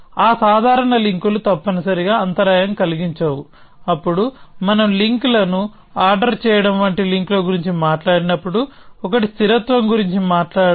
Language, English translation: Telugu, That casual links are not disrupted essentially, then when we talk of links like ordering links; one is to talk about consistency